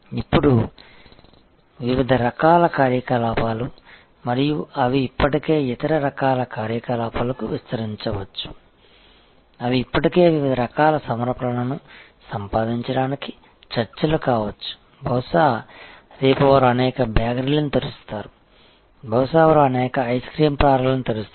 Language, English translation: Telugu, Now, these are different types of activities and they might be already expanding into other types of activities, they may be already a negotiation to acquire different other types of offerings, maybe tomorrow they will open a chain of bakeries, may be they will open a chain of ice cream parlours